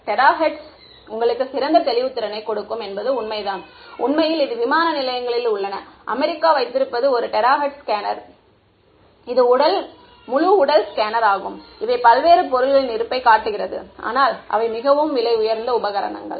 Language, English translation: Tamil, It is true the terahertz will give you better resolution and in fact, there are these airport security that the US has where they have a terahertz scanner, full body scanner, which shows you the presence of various objects right, but those are very expensive equipment